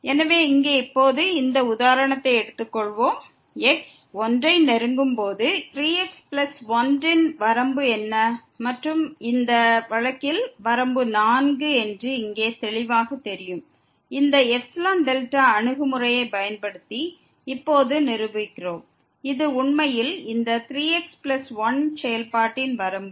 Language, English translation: Tamil, So, here now let us take this example that what is the limit of this 3 plus 1 as goes to 1 and its clearly visible here that the limit is 4 in this case and we will prove now using this epsilon delta approach that this indeed is the limit of this function 3 plus 1